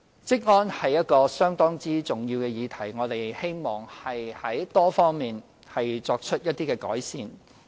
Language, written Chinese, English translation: Cantonese, 職安是一項相當重要的議題，我們希望從多方面作出改善。, Occupational safety is a very important topic and we hope to make improvement in various aspects